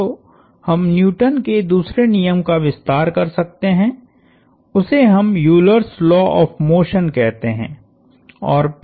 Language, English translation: Hindi, So, the center of So, the extension we can make of the Newton second law is what we will call Euler's laws of motion